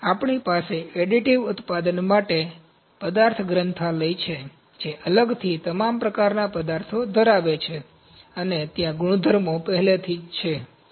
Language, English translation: Gujarati, We have material libraries for additive manufacturing separately all kinds of materials, and there are properties are already there